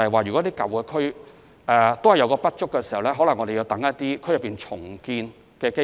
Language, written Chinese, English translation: Cantonese, 如果舊區土地不足，我們可能要等待區內重建的機會。, In case land is insufficient in old districts we may have to wait for redevelopment